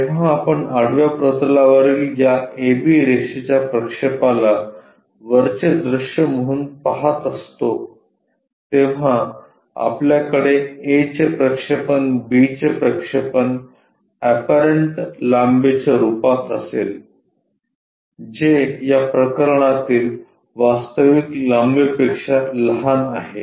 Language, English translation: Marathi, When we are looking at projection of this A B line on to horizontal plane as a top view, we are going to have projection of A projection of B as apparent length which is smaller than the true length in this case